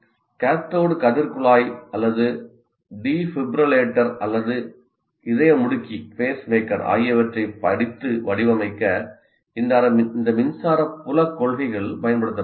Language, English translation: Tamil, And these principle, electric field principles are applied to study and design cathodeary tube, heart, defibrillator, or pacemaker